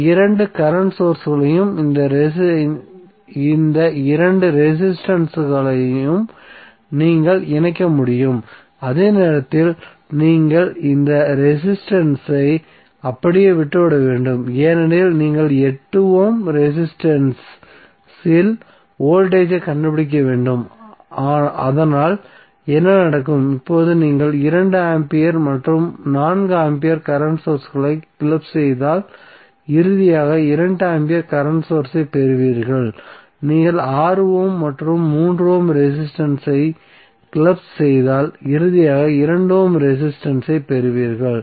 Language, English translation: Tamil, So you can club these two current sources and these two resistances while you have to leave this resistance intact because you need to find out the voltage across 8 ohm resistance so, what will happen, now if you club 2 ampere and 4 ampere current sources you will finally get 2 ampere current source and if you club 6 ohm and 3 ohm resistance you will get finally 2 ohm resistance